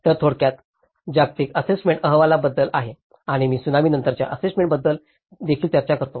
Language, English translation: Marathi, So, that is briefly about the Global Assessment Reports and also talk about the post Tsunami assessment